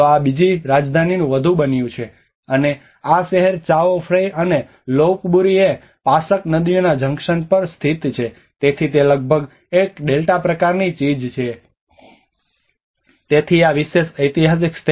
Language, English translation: Gujarati, So this has become more of the second capital, and this city is located at the junction of Chao Phraya and Lopburi and Pasak rivers, so it is almost a kind of delta kind of thing